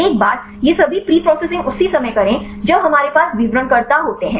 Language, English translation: Hindi, So, do all these preprocessing right once we have the descriptors